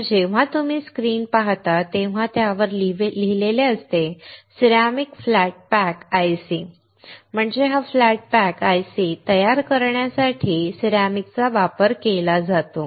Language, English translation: Marathi, So, when you see the screen it is written ceramic flat pack IC; that means, ceramic is used for fabricating this flat pack IC